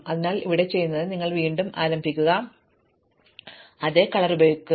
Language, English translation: Malayalam, So, here what you do is, you start with again I will use the same color thing